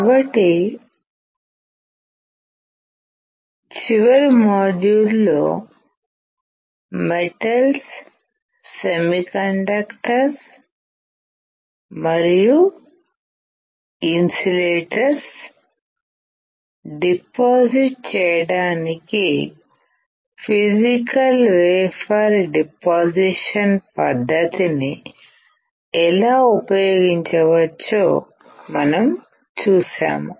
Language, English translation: Telugu, So, in the last module we have seen, how we can use physical vapor deposition technique to deposit metals, semiconductors, and insulators